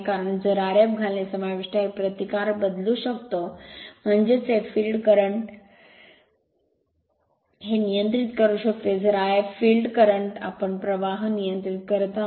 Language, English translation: Marathi, Because if by inserting R f dash right this resistance you can vary hence you can hence you can control the field current this I f, field current controlling means we are controlling the flux right